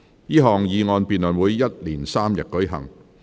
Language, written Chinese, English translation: Cantonese, 這項議案辯論會一連3天舉行。, The debate on this motion will last for three days